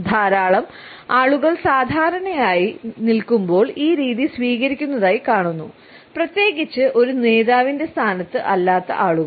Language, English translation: Malayalam, We find that a lot of people normally adopt this position while they are is standing, particularly those people who are not in a position of a leader